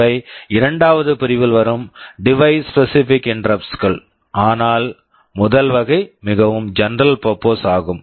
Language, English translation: Tamil, These are device specific interrupts that fall in the second category, but first category is more general purpose